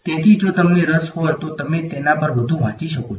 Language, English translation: Gujarati, So, if you are interested you can read more on that